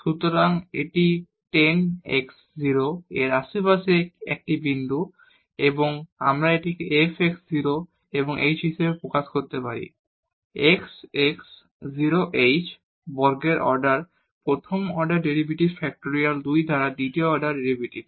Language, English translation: Bengali, So, this is a point in the neighborhood of 10 x 0 and we can express this as f x 0 plus the h the first order derivative at x 0 h square by factorial 2 the second order derivative and so on